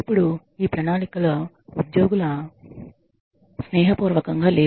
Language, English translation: Telugu, Now these plans are not employee friendly